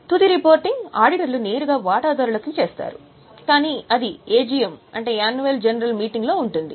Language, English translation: Telugu, The final reporting auditors will make directly to the shareholders